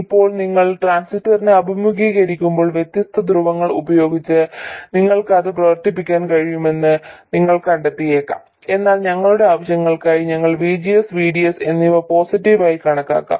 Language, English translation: Malayalam, Now when you encounter the transistor you may find that you will be able to operate it with different polarities but for our purposes we will consider VGS and VDS to be positive